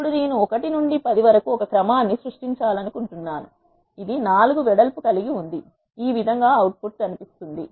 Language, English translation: Telugu, Now if I want to say I want to create a sequence from 1 to 10 which is having a width of 4 this is how the output looks